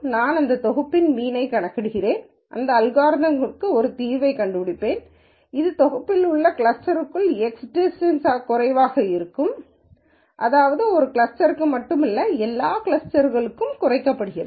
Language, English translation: Tamil, I will calculate the mean of that set and I will find out a solution for this these means in such a way that this within cluster distance x which is in the set minus I mean is minimized not only for one cluster, but for all clusters